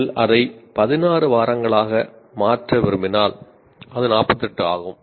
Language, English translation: Tamil, If you want to make it 16 weeks, then it is 48